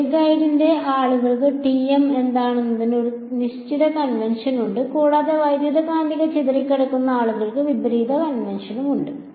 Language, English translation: Malayalam, The wave guide people have a certain convention for what is TM and people in electromagnetic scattering they have the reverse convention